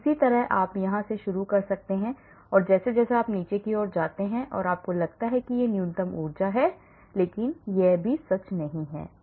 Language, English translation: Hindi, similarly you may start from somewhere here and as you go down down down down and you think that is the minimum energy conformation but that is also not true